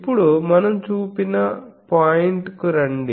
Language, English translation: Telugu, Now, let us come to the point that we have seen